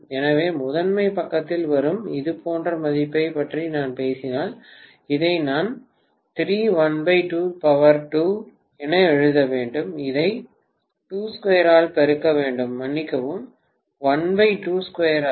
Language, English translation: Tamil, So if I am talking about a similar value coming on the primary side, I have to write this as 3 multiplied by 1 by 2 square, am I right